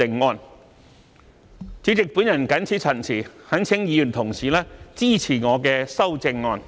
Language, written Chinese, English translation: Cantonese, 代理主席，我謹此陳辭，懇請各位議員支持我的修正案。, With these remarks Deputy President I implore Members to support my amendment